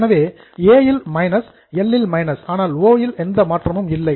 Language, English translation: Tamil, So, minus in A and minus in O